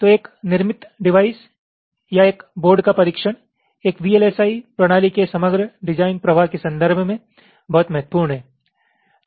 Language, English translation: Hindi, ok, so testing of a fabricated device or a board, whatever you say, is very important in the context of the overall design flow of a vlsi system